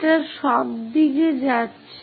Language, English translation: Bengali, It is going all the way up